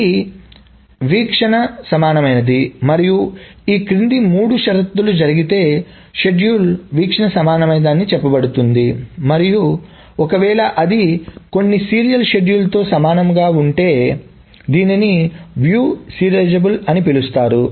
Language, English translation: Telugu, This is view equivalent and the schedule is said to be view equivalent if the following three conditions happen and if it is called view serializable if it is view equivalent to some serial schedule